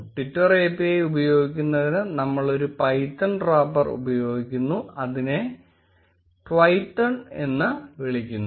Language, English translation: Malayalam, To use twitter API we will be using a python wrapper, which is called Twython